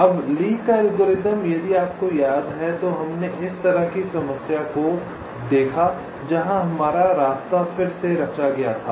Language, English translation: Hindi, so, lees algorithm: if you recall, we looked at a problem like this where our path was retraced